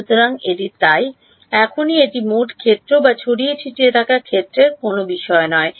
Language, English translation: Bengali, So, this is so, right now it does not matter total field or scattered field